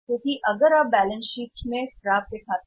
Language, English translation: Hindi, Because if you give only accounts receivable in the balance sheet right